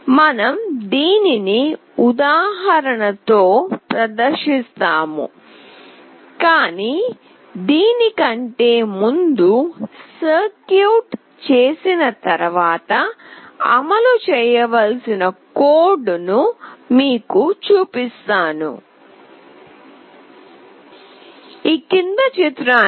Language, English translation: Telugu, We will be demonstrating this example, but before that I will be showing you the code that is required to be executed after making the circuit